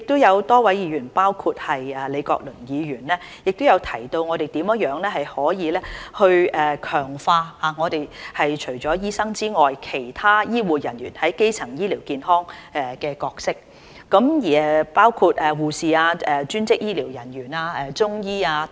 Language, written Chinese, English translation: Cantonese, 有多位議員如李國麟議員也提到，我們如何能強化除了醫生以外其他醫護人員在基層醫療健康的角色，包括護士、專職醫療人員、中醫等。, A number of Members for example Prof Joseph LEE have also mentioned how we can strengthen the roles of healthcare personnel other than doctors in primary healthcare including nurses allied health professionals and Chinese medicine CM practitioners